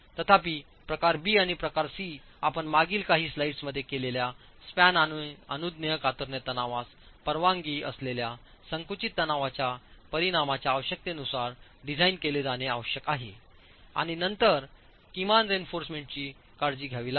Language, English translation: Marathi, Whereas type B and type C would have to be designed as for the requirements that you saw in the last few slides on effective span and permissible shear stress, permissible compressive stress, and then minimum reinforcement has to be taken care of